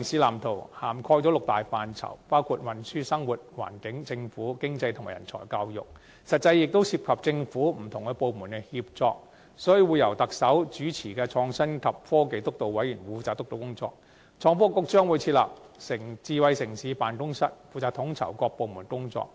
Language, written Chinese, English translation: Cantonese, 《藍圖》涵蓋六大範疇，包括運輸、生活、環境、政府、經濟及人才教育，實際上亦涉及政府不同部門的協作，所以會由特首主持的創新及科技督導委員會負責督導工作，而創新及科技局將會設立智慧城市辦公室，負責統籌各部門的工作。, Covering the six major areas of mobility living environment people government and economy the Blueprint indeed calls for the coordination of different government departments . That is why the project is steered by the Chief Executive - led Steering Committee on Innovation and Technology with a Smart City Office the Office to be set up in the Innovation and Technology Bureau responsible for coordinating the work of different departments